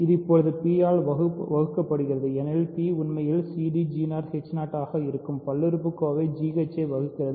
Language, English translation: Tamil, So, this now is divisible by p, because p divides the polynomial g h which is actually c d g 0 h 0